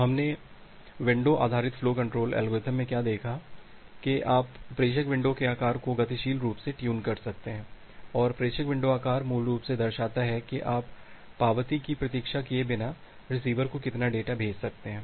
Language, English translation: Hindi, So, what we have looked into the window based flow control algorithm that you can dynamically tune the sender window size and the sender window size basically depicts that how much data you can send to the receiver without waiting for the acknowledgement